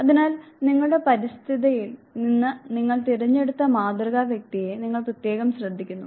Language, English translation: Malayalam, So, you exclusively pay attention to the model whom you have selected from your environment